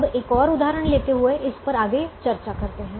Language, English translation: Hindi, now let us have a further discussion on this by taking another example